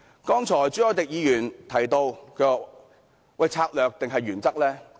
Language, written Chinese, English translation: Cantonese, 剛才，朱凱廸議員提到，究竟要策略還是原則？, Just now Mr CHU Hoi - dick asked if we wanted strategies or principles